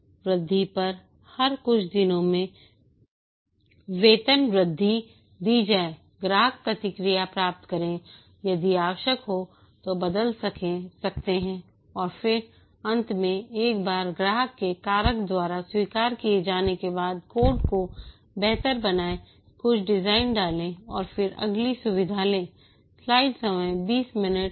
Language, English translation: Hindi, Develop over increment every few days increments to be given get customer feedback, alter if necessary and then finally once accepted by the customer refactor, make the code better, put some design and then take up the next feature